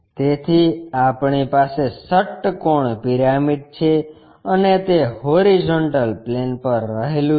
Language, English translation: Gujarati, So, we have hexagonal pyramid and it is resting on horizontal plane